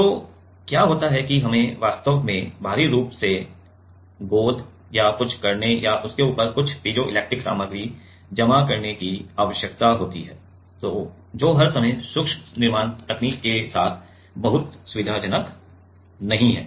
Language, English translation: Hindi, So, what happens is we need to we need to actually, externally glue or do something or deposit some piezoelectric material on top of that, which is not very convenient all the time with micro fabrication technique